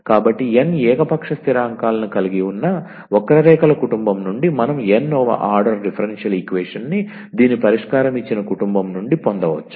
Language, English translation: Telugu, So, the from a given family of curves containing n arbitrary constants we can obtain nth order differential equation whose solution is the given family